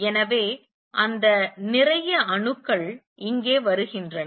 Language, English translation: Tamil, So, that lot of atoms comes here